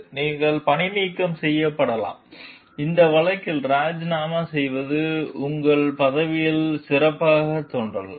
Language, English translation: Tamil, You may be fired in which case resigning may look better on your record